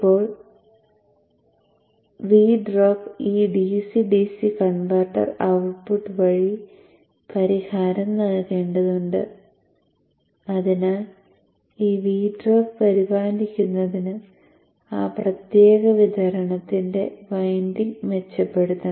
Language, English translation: Malayalam, Now V drop is he has to be compensated by this DCDC converter output and therefore accordingly the windings of that particular supply should be enhanced to take care of this V Drop